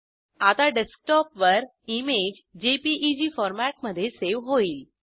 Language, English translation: Marathi, The image will now be saved in JPEG format on the Desktop